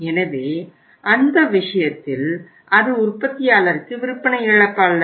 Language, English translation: Tamil, So in that case it is not loss of sale to the manufacturer